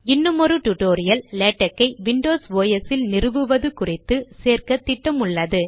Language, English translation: Tamil, We plan to add a tutorial on installation of Latex in windows OS